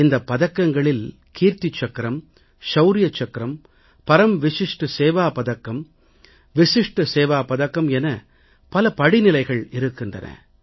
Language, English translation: Tamil, There are various categories of these gallantry awards like Kirti Chakra, Shaurya Chakra, Vishisht Seva Medal and Param Vishisht Seva Medal